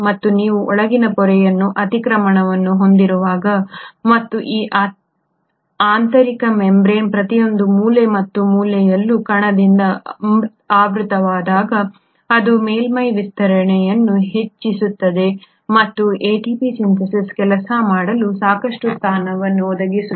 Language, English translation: Kannada, And you find that when you have so much of invagination of the inner membrane and every nook and corner of this inner membrane gets studded by this particle, it increases the surface area and it provides sufficient positioning of this ATP Synthase to work